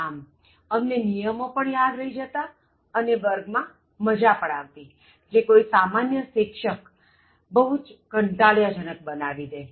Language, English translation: Gujarati, So, we remember the rules and at the same time, we enjoyed the class which any normal teacher would have made it very boring